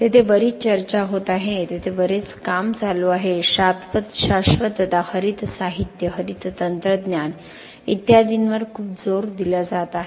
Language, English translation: Marathi, There is a lot of discussion there is a lot of work going on there is lot of emphasis on sustainability, green materials, green technologies and so on